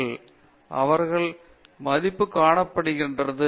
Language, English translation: Tamil, Where do they see value in, where do they fit in